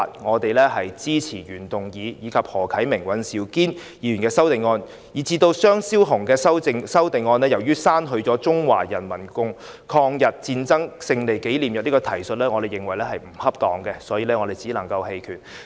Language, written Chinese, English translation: Cantonese, 至於張超雄議員的修正案，由於修正案刪去了"中國人民抗日戰爭勝利紀念日"的提述，我們認為並不恰當，所以只能投棄權票。, As for the amendment of Dr Fernando CHEUNG which has deleted the reference to the Victory Day of the Chinese Peoples War of Resistance against Japanese Aggression we can only abstain from voting because we think that such deletion is inappropriate